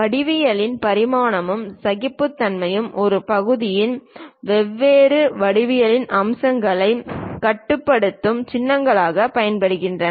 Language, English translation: Tamil, Geometric dimensioning and tolerancing uses special symbols to control different geometric features of a part